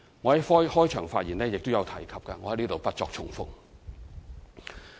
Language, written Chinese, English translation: Cantonese, 我在開場發言已曾提及，在此不作重複。, As I have already mentioned this in the beginning I will not repeat myself here